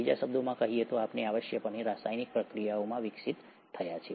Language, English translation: Gujarati, In other words, we have essentially evolved from chemical reactions